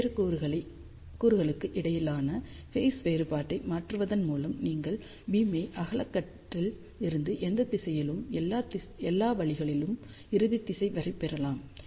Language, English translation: Tamil, So, simply by changing the phase difference between different elements, you can scan the beam from broadside to any direction to all the way to the endfire direction